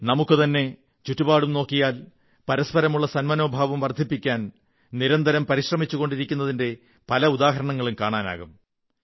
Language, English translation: Malayalam, If we look around us, we will find many examples of individuals who have been working ceaselessly to foster communal harmony